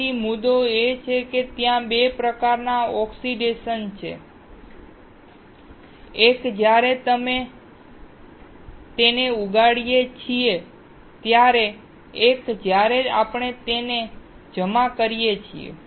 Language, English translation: Gujarati, So, the point is there are 2 types of oxidation; one is when we grow it, one when we deposit it